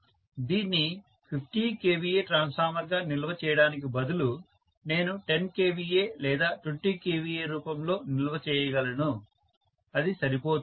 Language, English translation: Telugu, Rather than storing it as a 50 kVA transformer I can store it in the form of maybe 10 kVA or 20 kVA, that is more than sufficient